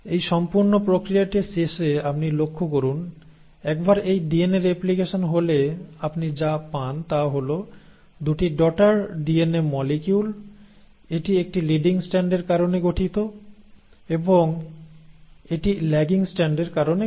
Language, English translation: Bengali, Now you notice at the end of this entire process, once this DNA replication has happened what you end up getting are 2 daughter DNA molecules, this one formed because of a leading strand, right, and this one formed because of the lagging strand